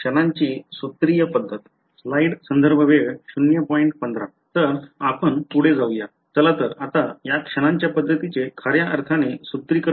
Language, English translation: Marathi, So, let us go ahead; let us actually formulate this Method of Moments ok